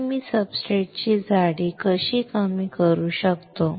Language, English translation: Marathi, So, how can I reduce the thickness of the substrate